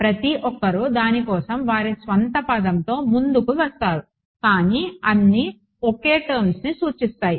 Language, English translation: Telugu, Everyone comes up with their own word for it they all mean the same thing ok